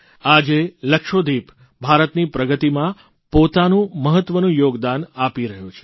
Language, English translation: Gujarati, Today, Lakshadweep is contributing significantly in India's progress